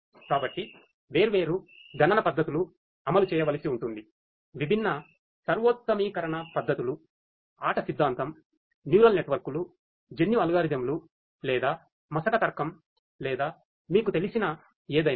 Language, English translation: Telugu, So, different computational techniques will have to be implemented, different optimization techniques game theory, neural networks you know genetic algorithms, or you know fuzzy logic or anything you know